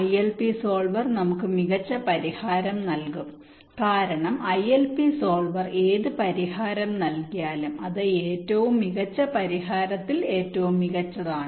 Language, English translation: Malayalam, the ilp solver will provide us with the optimum solution, because ilp solver, whatever solution it gives, it, is the best possible for the optimum solution